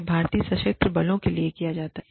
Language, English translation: Hindi, This is done, in the Indian armed forces